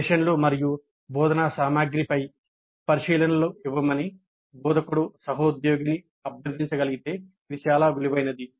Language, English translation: Telugu, If the instructor can request a colleague to give observations on the contract of the sessions and instructional material it can be very valuable